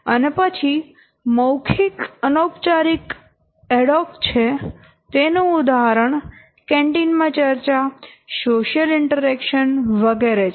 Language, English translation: Gujarati, Oral informal ad hoc example is like my discussion in canteen, social interaction etc